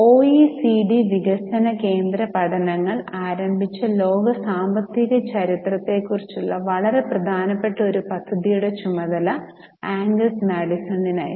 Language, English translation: Malayalam, So, Angus Medicine was in charge of one very important project about world economic history which was instituted by OECD Development Centre Studies